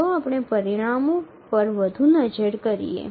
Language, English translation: Gujarati, Now let's look at further into the results